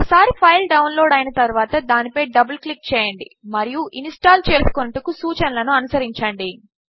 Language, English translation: Telugu, Once the file is downloaded, double click on it and follow the instructions to install